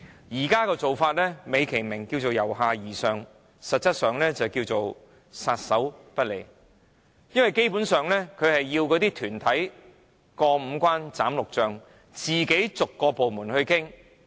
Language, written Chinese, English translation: Cantonese, 現在的做法，美其名是由下而上，實質上是政府撒手不管，因為團體要辦一個墟市，需要過五關、斬六將，自行跟各部門逐一商討。, The present approach dignified by the name of bottom - up is essentially total neglect . To organize a bazaar an organizer must overcome various obstacles and negotiate with each government department on its own